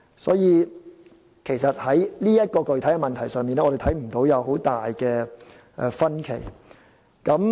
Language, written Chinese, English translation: Cantonese, 所以，在這個具體問題上，我們看不到有很大分歧。, Therefore on this specific issue we do not see that there is a great divergence of opinions